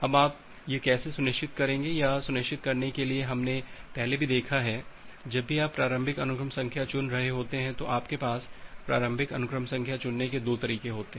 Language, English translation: Hindi, Now how will you ensure that to ensure that earlier we have seen that well, whenever you are choosing the initial sequence number you have 2 way to choose the initial sequence number